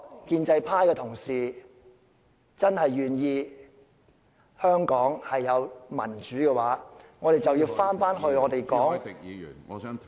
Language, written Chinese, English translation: Cantonese, 建制派同事如果真的希望香港有民主，我們就要回到......, If pro - establishment Members really want to have democracy in Hong Kong we must go back